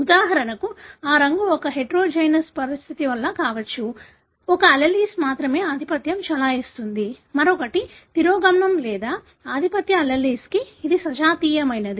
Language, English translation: Telugu, For example, whether that colour is because of a heterozygous condition, only one allele is dominant, other one is recessive or it is a homozygous for the dominant allele